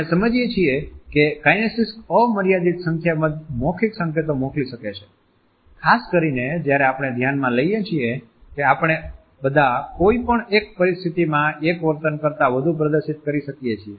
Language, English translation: Gujarati, We understand that kinesics can send unlimited number of verbal signals, particularly when we consider that all of us can display more than a single behavior in any given instance